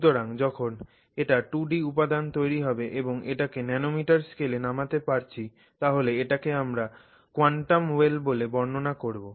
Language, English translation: Bengali, So, when it is a two dimensional materials, material and if you are getting down to this nanometer scale then we describe it as a well